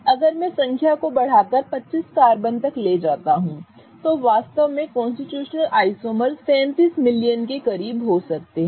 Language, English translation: Hindi, If I increase the number to 25 carbons, the number of constitutional isomers that a carbon compound can really have are close to 37 million